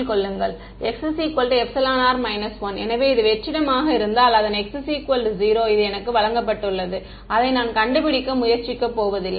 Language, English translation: Tamil, So, if this is vacuum its x is equal to 0 which is given to me I am not going to try to find it